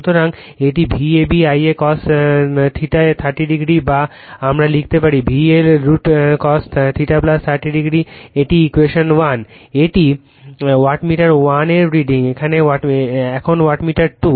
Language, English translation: Bengali, So, it is V a b I a cos theta plus 30 degree or we can write V L I L cos theta plus 30 degree this is equation 1 this is the reading of the your wattmeter 1 right , now wattmeter 2